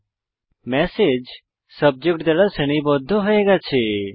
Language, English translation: Bengali, The messages are sorted by Subject now